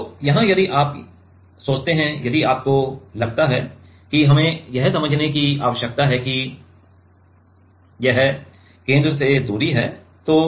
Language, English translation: Hindi, So, here if you think to here if you think we need to understand that is this is distance from the center